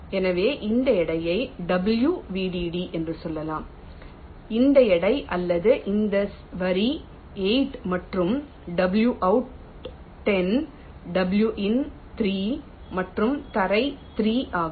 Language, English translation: Tamil, so lets say wvdd, this weight, this weight of this line is eight and w and out is ten, w and in is three and ground is also three